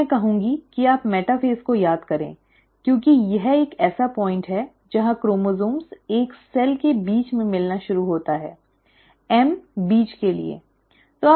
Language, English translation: Hindi, So I would say you remember metaphase as it is a point where the chromosome starts meeting in the middle of a cell, M for middle